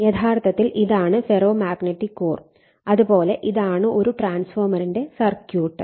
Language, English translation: Malayalam, So, let me clear it so, this is actually ferromagnetic core and this is your the your circuit symbol of a transformer